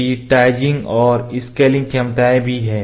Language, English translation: Hindi, Digitizing and scanning abilities are also there